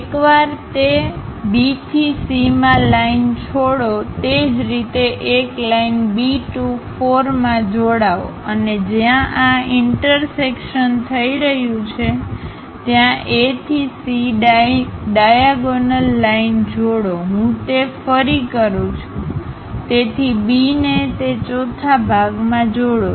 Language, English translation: Gujarati, Once that is done join B to C by a line similarly join B 2 4 by a line and join A to C the diagonal line wherever this intersection is happening call that point as 2 and 1